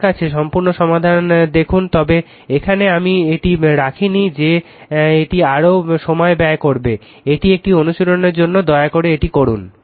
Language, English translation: Bengali, Look whole solutions I have, but here I did not put it will consume more time, this is an exercise for you please do it right